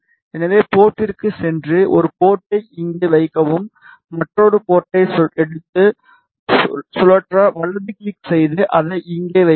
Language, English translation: Tamil, So, just go to port and place a port here take another port, right click to rotate place it here